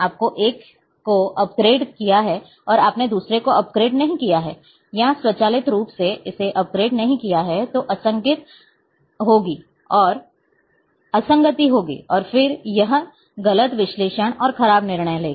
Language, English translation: Hindi, You have upgraded one you have not upgraded another one or automatically it has not been upgraded then there will be inconsistency and then it will lead to the wrong analysis and poor decisions